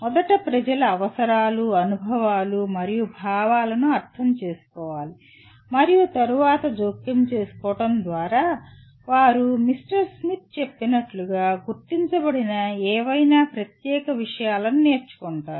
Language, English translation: Telugu, First attending to people’s needs, experiences and feelings and then intervening so that they learn particular things, whatever that are identified as stated by one Mr